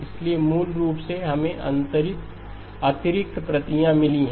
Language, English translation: Hindi, So basically we have got additional copies